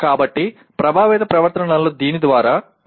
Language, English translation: Telugu, So affective behaviors are demonstrated by this